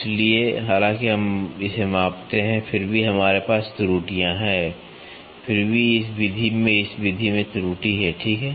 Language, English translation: Hindi, So, although we measure it we still have errors we still have error in this method in this method, ok